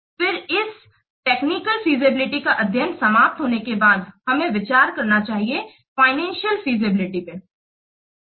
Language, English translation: Hindi, Then after this technical feasibility study is over we should cover we should we should consider the financial feasibility